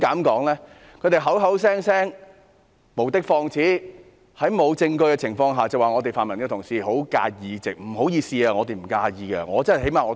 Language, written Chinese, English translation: Cantonese, 他們口口聲聲無的放矢，在毫無證據下指泛民同事十分在意這個議席。, They have made many groundless accusations that colleagues from the pan - democratic camp care very much about their seats in this Council without offering any evidence